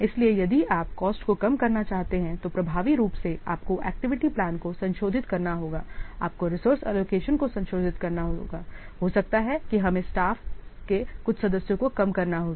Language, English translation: Hindi, So, if you want to reduce cost, then effectively you have to what revise the activity plan, you have to revise the resource allocation, might we have to reduce some of the staff members or so